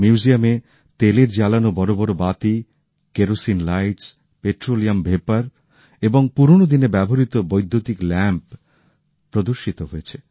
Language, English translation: Bengali, Giant wicks of oil lamps, kerosene lights, petroleum vapour, and electric lamps that were used in olden times are exhibited at the museum